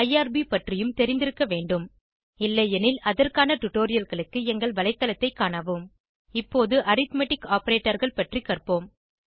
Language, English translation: Tamil, You must also be familiar with irb If not, for relevant tutorials, please visit our website Now let us learn about arithmetic operators